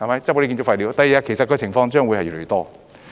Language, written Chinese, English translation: Cantonese, 日後這些情況將會越來越多。, There will be more and more such cases in the future